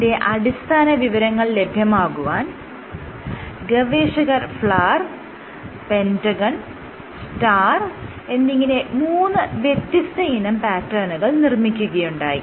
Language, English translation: Malayalam, So, to probe into the basis what the authors chose was these 3 shapes the Flower, the Pentagon and the Star